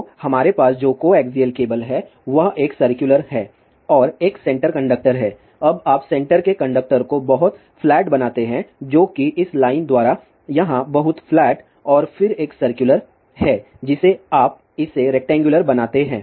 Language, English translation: Hindi, So, the coaxial cable what we have this is a circular 1 and there is a center conductor now you make the center conductor very flat which is represented by this line here very flat and then the circular one you make it rectangle